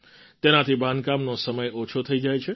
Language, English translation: Gujarati, This reduces the duration of construction